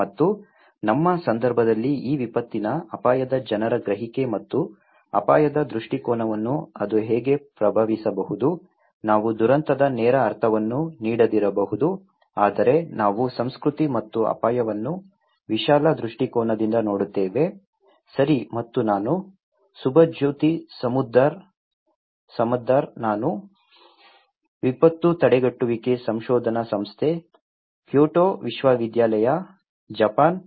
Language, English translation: Kannada, And how it may influence people's perception and perspective of risk in our context this disaster risk, we may not give a direct connotations of disaster but we will look into culture and risk from a broader perspective, okay and I am Subhajyoti Samaddar, I am from Disaster Prevention Research Institute, Kyoto University, Japan